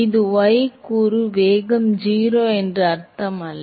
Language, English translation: Tamil, This does not mean that the y component velocity is 0